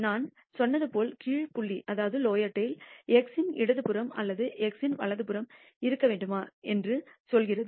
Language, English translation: Tamil, As I said the lower dot tail tells you whether you want the area to the left of x or to the right of x